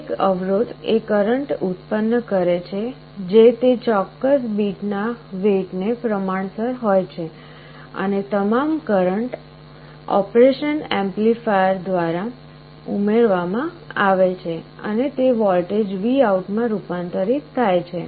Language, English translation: Gujarati, Each of the resistances is generating a current that is proportional to the weight of that particular bit and all the currents are added up by the operation amplifier, and it is converted into a voltage VOUT